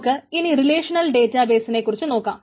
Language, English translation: Malayalam, we will talk about a little bit of relational database already known to you